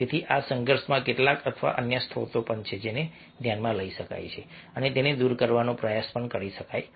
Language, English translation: Gujarati, so these are some or some of the other sources of conflict which one can consider and try to overcome these